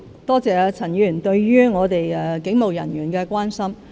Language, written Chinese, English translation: Cantonese, 多謝陳議員對警務人員的關心。, I thank Mr CHAN for his concern about police officers